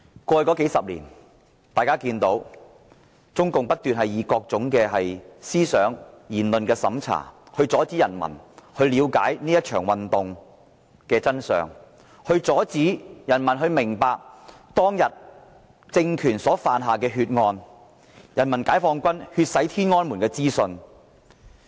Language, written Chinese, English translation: Cantonese, 過去20多年，中共不斷以各種思想、言論審查，阻止人民了解這場運動的真相，阻止人民明白當天政權犯下的血案，封鎖人民解放軍血洗天安門的資訊。, Over the past 20 - odd years CPC has used various means such as censorship of thoughts and speech to stop people from getting the true picture of this movement to stop people from learning about the murders committed by the regime and to block all information about PLAs bloody crackdown in Tiananmen Square